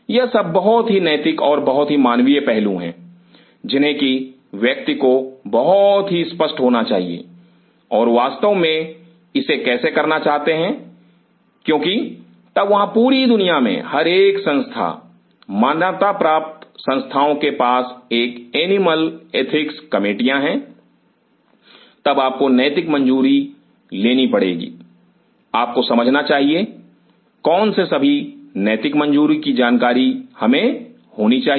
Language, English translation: Hindi, These are very ethical and very human aspects which one has to be very clear and how really want to do it because then there are every institute across the world, recognized institutes have animal ethics committees then you have to take ethical clearances, you should know what all ethical clearances we needed to know